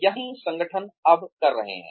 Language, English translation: Hindi, This is what organizations, are now doing